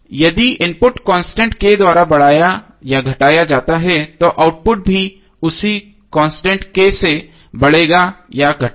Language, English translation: Hindi, So if input is increased or decreased by constant K then output will also be increase or decrease by the same constant K